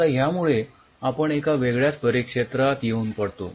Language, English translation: Marathi, now that brings us to a very different paradigm all together